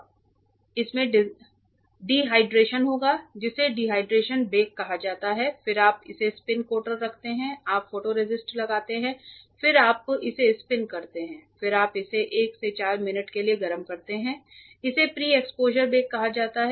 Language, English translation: Hindi, So, that it will have a dehydration that is called dehydration bake then you put it on the spin coater you put your photoresist and then you spin coat it then you heat it also again for a 1 by 4 minute it is called a pre exposure bake because before you expose ah